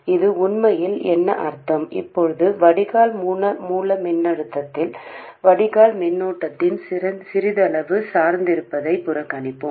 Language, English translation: Tamil, For now, let's ignore the slight dependence of drain current on the drain source voltage